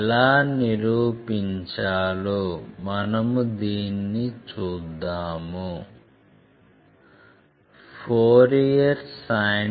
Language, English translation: Telugu, Let us see how to prove it